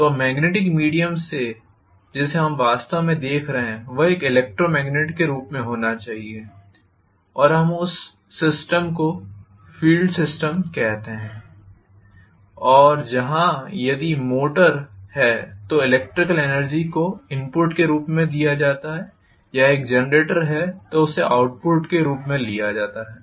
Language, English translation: Hindi, So the magnetic via media, what we are actually looking for should be in the form of an electromagnet and we call that system as field system and where the electrical energy is given as input if is a motor or from where it is taken out as the output if it is a generator we call that portion as armature